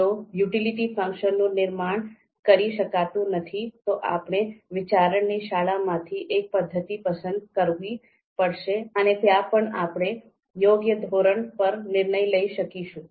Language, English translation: Gujarati, If utility function cannot be constructed, then we will have to pick one of one of the methods from outranking school of thought, and there also if we can decide on the scale which is going to be suitable